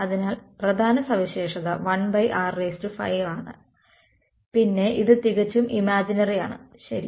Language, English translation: Malayalam, So, what are the key features is 1 by r 5 then it is purely imaginary right